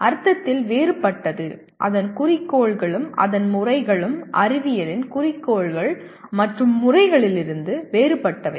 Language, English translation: Tamil, Different in the sense its goals and its methods are different from the goals and methods of science